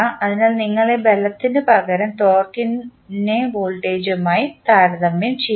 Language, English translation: Malayalam, So, where you instead of force you compare torque with the voltage